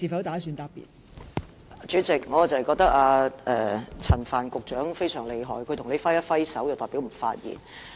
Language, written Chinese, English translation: Cantonese, 代理主席，我覺得陳帆局長非常厲害，他向你揮一揮手便代表不作發言。, Deputy President I am really impressed by Secretary Frank CHAN who just waved his hand to tell you that he was not going to speak